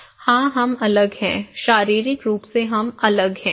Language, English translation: Hindi, Yes, we are different well, physically we are different